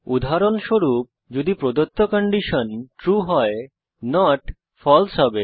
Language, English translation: Bengali, If the given condition is true, not makes it false